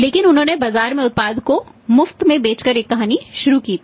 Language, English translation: Hindi, But they have started with a story by selling the product free of cost in the market